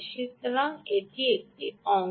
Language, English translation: Bengali, all right, this is one part